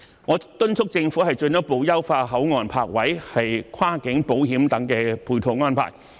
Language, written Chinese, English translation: Cantonese, 我敦促政府進一步優化口岸泊位和跨境保險等配套安排。, I urge the Government to further improve such supporting arrangements as the parking spaces at the control points and cross - boundary insurance